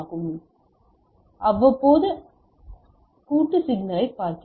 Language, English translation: Tamil, So, so now we see that non periodic composite signal